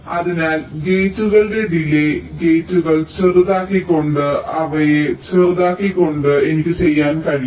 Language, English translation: Malayalam, so delays of the gates i can do by scaling down of the gates, making them smaller